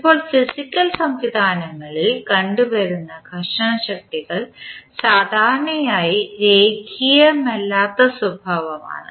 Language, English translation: Malayalam, Now, the frictional forces encountered in physical systems are usually non linear in nature